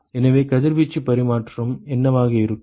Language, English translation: Tamil, So, what will be the radiation exchange